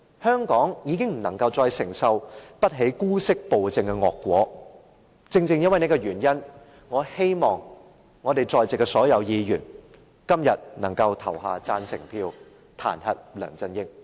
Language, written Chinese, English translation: Cantonese, 香港再承受不起姑息暴政的惡果，正正因為這個原因，我希望在席所有議員今天能夠投下贊成票，彈劾梁振英。, Hong Kong can no longer afford to bear the consequence of tolerating despotic rule . Owing to that I hope that all Members present will vote in favour of this motion to impeach LEUNG Chun - ying